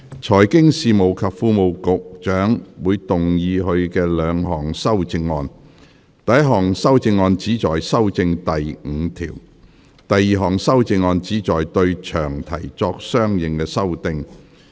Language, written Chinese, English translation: Cantonese, 財經事務及庫務局局長會動議他的兩項修正案：第一項修正案旨在修正第5條；第二項修正案旨在對詳題作相應修訂。, The Secretary for Financial Services and the Treasury will move his two amendments the first amendment seeks to amend clause 5; the second amendment seeks to make consequent amendment to the long title